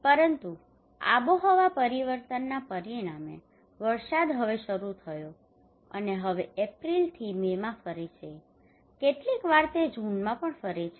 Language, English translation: Gujarati, But as a result of climate change the rain now the onset of rainfall now moved from rain now move from April to May, sometimes it moves to June even